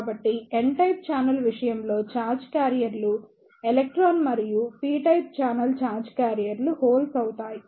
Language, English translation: Telugu, So, in case of n type channel the charge carriers will be electron and in case of p type channel charge carriers will be hole